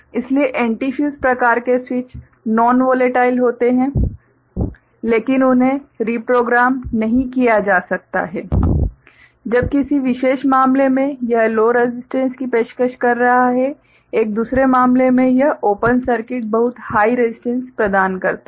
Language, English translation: Hindi, So, antifuse type switches are non volatile, but they cannot be reprogrammed and when in a particular case it is offering low resistance in another case it offers open circuit, very high resistance ok